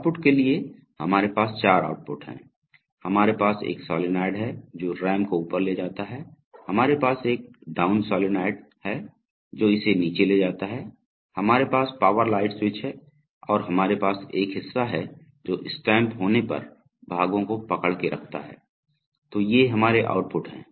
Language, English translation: Hindi, For outputs, we have four outputs, we have an up solenoid which moves the RAM up, we have a down solenoid which moves it down, we have the power light switch and we have a part hold which holds the parts while it is being stamped, so these are our outputs